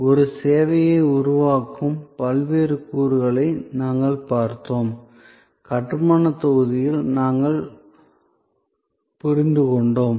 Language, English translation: Tamil, We have looked at different elements that constitute a service, we understood the building blocks